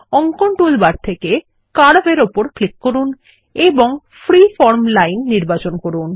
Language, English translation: Bengali, From the Drawing toolbar click on Curve and select Freeform Line